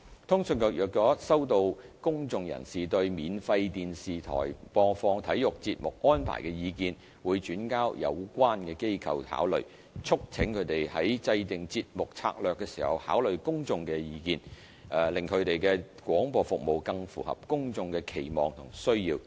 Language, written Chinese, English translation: Cantonese, 通訊局若收到公眾人士對免費電視台播放體育節目安排的意見，會轉交有關機構考慮，促請他們在訂定節目策略時考慮公眾的意見，令其廣播服務更符合公眾的期望和需要。, If CA receives public views on the broadcasting arrangements for sports programmes of free TV broadcasters CA will convey them to the relevant broadcasters for consideration urging them to take into account public views in formulating programme strategies so that their broadcasting services will better meet the expectations and needs of the public